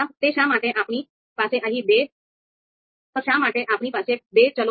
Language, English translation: Gujarati, So you know why we have these two variables here